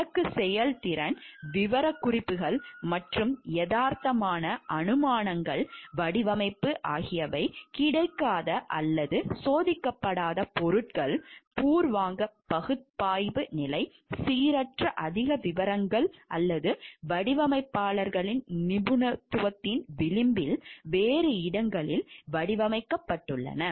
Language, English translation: Tamil, Goals performance specifications unrealistic assumptions design depends on unavailable or untested materials, preliminary analysis stage uneven overly detailed or design in designer’s area of expertise marginal elsewhere